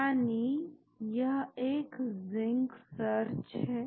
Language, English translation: Hindi, Say it is a search Zinc